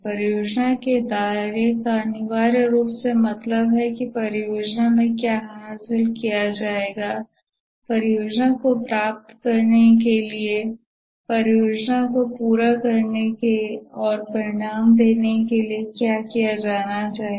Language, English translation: Hindi, The project scope essentially means that what will be achieved in the project, what must be done to achieve the project, to complete the project and to deliver the results